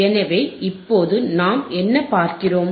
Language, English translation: Tamil, So, let us see what is that